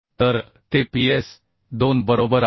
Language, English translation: Marathi, so it is ps2, right